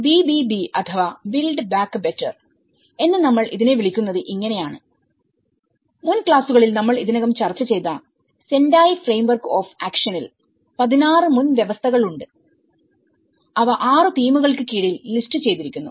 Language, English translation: Malayalam, So, this is how we call it as BBB build back better and in Sendai Framework of action which we already discussed about this in the earlier classes as well, there have been 16 prerequisites, which has been listed under the 6 themes